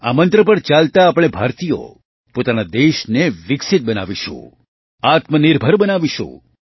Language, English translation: Gujarati, Adhering to this mantra, we Indians will make our country developed and selfreliant